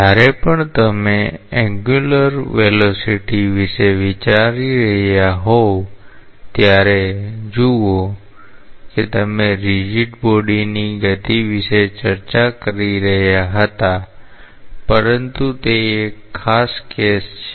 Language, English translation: Gujarati, See whenever you are thinking of angular velocity we were discussing about the rigid body motion, but that is a special case